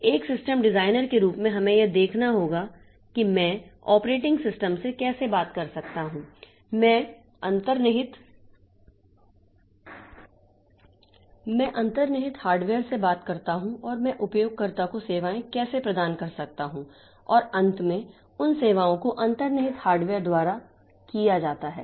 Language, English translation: Hindi, So, as a system designer, so we have to see like how can I talk to the operating system, how can I talk to the underlying hardware and how can I provide the services to the user and those services are ultimately done by the underlying hardware